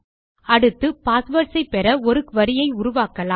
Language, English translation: Tamil, Next we will create a query to get the passwords